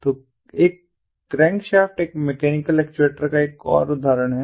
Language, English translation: Hindi, so a crankshaft is another example of a mechanical actuator